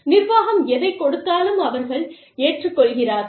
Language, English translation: Tamil, They accept, whatever the management gives them